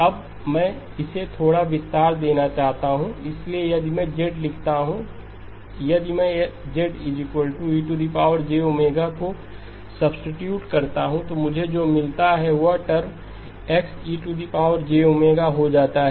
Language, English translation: Hindi, Now I just wanted to expand this a little bit, so if I write Z if I substitute Z equal to e power j omega then what I get is this term becomes X e power j omega